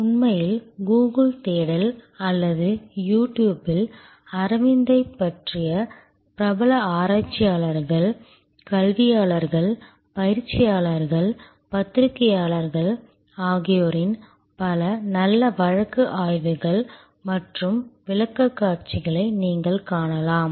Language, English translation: Tamil, Actually through Google search or on You Tube, you will find many quite good case studies and presentations from famous researchers, academicians, practitioners, journalists on Aravind